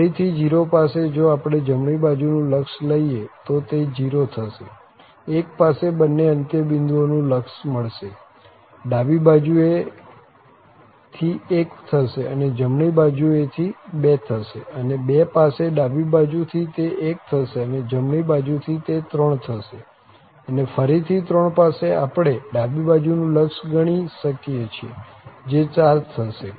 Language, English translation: Gujarati, So, again at 0, if we take the right limit at 0 this is going to be 0, at 1 we have both the end limits here it is 1 from left and that from the right hand side it is 2, and at 2 also this is going to be 1 from the left hand and then from the right it is going to be 3, and again at 3 we can compute the left hand limit and that will give 4